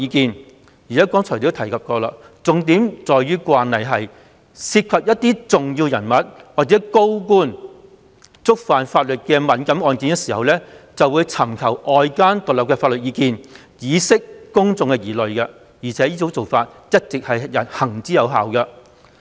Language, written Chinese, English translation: Cantonese, 正如我剛才所述，重點在於慣例是，但凡涉及重要人物或高官觸犯法律的敏感案件，均會尋求外間獨立的法律意見，以釋除公眾疑慮，而且這做法一直行之有效。, As I said just now the most important point concerns the established practice of seeking independent legal advice from outside counsel on any sensitive cases involving important figures or senior officials in breach of the law as a means of allaying public concern . And this has proved to be effective all along